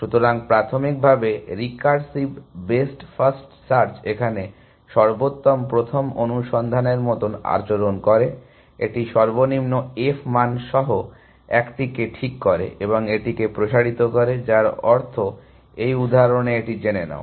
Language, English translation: Bengali, So, initially recursive best first search behaves like best first search, that it fix the one with the lowest f value and expands that, which means in this example this know